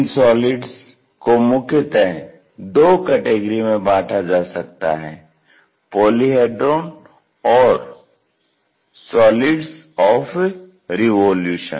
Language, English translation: Hindi, For this solids mainly we have two classification; one is Polyhedron, other one is solids of revolution